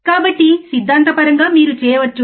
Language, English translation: Telugu, So, theoretically you can theoretical you can